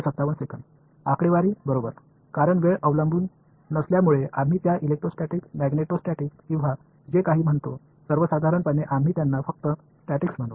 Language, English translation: Marathi, Statics right, because there is no time dependence, we call them electrostatic magneto statics or whatever; in general we will just call them statics